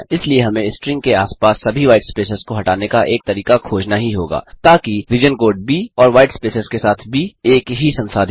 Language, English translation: Hindi, Hence, we must find a way to remove all the whitespace around a string so that the region code B and a B with white spaces are dealt as same